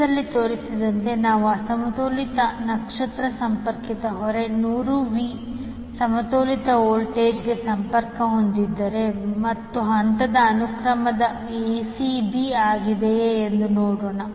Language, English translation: Kannada, Let us see if we have unbalanced star connected load as shown in the figure is connected to balanced voltage of hundred volt and the phase sequence is ACB